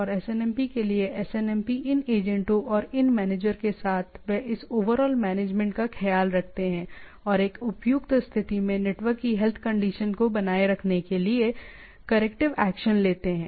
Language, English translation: Hindi, And for that this SNMP with SNMP these agents and the these managers they take care of this overall management and take corrective actions to make the keep the health condition of the network in a appropriate state